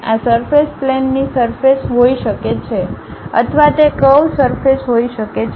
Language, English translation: Gujarati, This surface can be plane surface or it can be curved surface